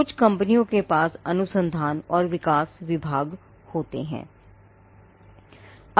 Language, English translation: Hindi, And companies which have an research and development department